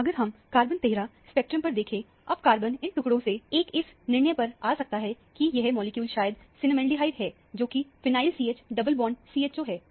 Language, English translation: Hindi, If you look at the carbon 13 spectrum, carbon now from these fragments, one comes to the conclusion that, the molecule is probably cinnamaldehyde, which is phenyl CH double bond CHO